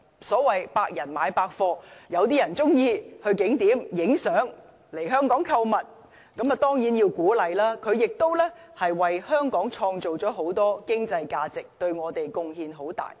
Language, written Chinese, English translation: Cantonese, 所謂"百人買百貨"，有些人喜歡到景點拍照，來香港購物，當然要鼓勵，他們為香港帶來很大的經濟效益。, There is something for everyone so to speak . Some people like taking photos at tourist attractions while others enjoy shopping in Hong Kong and we should certainly encourage them to do so for they will bring huge economic benefits to Hong Kong